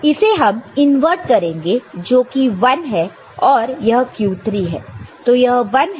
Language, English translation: Hindi, So, its inverted is 1 so that is your q3 ok